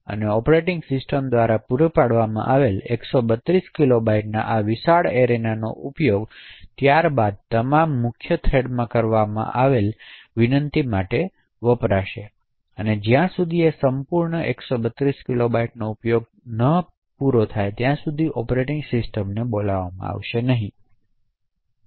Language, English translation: Gujarati, So, this large area of 132 kilobytes which the operating system has provided will then be used by all subsequent malloc in the main thread until that entire 132 kilobytes gets completely utilised